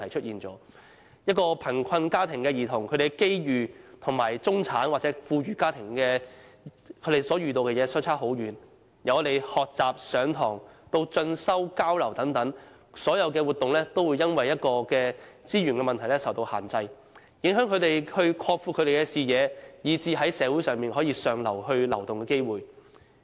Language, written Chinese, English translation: Cantonese, 一個貧困家庭的兒童的機遇，與中產或富裕家庭的兒童相差甚遠，由學習、上課，以至是進修、交流等所有活動，他們也會因資源問題而受到限制，影響他們擴闊視野，以至是在社會向上流動的機會。, For children growing up in a poor family their opportunities are far more limited than children in middle - class or rich families . They are restricted by their limited resources in their academic studies as well as their participation in study - related activities and exchange programmes which in turn prevent them from expanding their horizons and affect their chances of moving up the social ladder